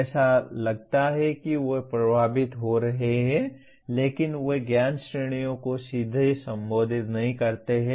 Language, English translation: Hindi, It seems to be affecting that but they do not directly address the Knowledge Categories